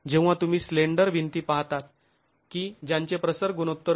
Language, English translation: Marathi, When you're looking at slender walls with an aspect ratio greater than 1